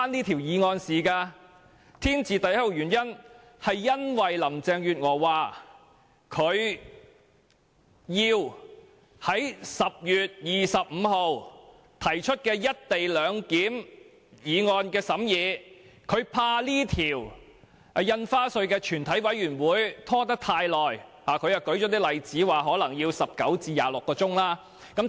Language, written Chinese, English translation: Cantonese, "天字第一號"原因是林鄭月娥要在10月25日提出"一地兩檢"的議案，她擔心《條例草案》在全委會審議階段的審議工作會拖延太久。, The most important reason is that Carrie LAM has to move a motion on the co - location arrangement on 25 October . She worries that the deliberation of the Bill at the Committee stage may drag on for a long time